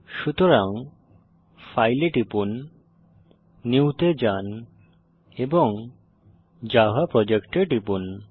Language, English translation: Bengali, So click on File, go to New and click on Java Project